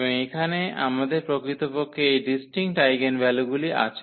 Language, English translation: Bengali, And here we have indeed these distinct eigenvalues